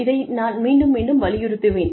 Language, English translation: Tamil, I will stress upon this, again and again